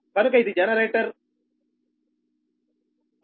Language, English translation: Telugu, so this is generator one